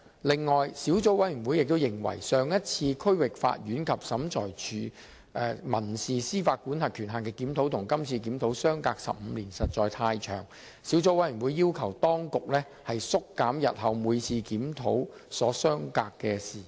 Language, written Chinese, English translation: Cantonese, 此外，小組委員會亦認為，上一次區域法院及審裁處民事司法管轄權限的檢討與今次的檢討相隔15年，實在太長，小組委員會要求當局縮減日後每次檢討所相隔的時間。, In addition the Subcommittee considered that the interval of 15 years between the last review of the civil jurisdictional limits of the District Court and SCT and the current one was really too long and it asked the authorities to conduct future reviews at a shorter interval